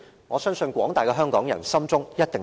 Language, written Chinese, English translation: Cantonese, 我相信廣大的香港人一定心中有數。, I believe most Hong Kong people have a pretty good idea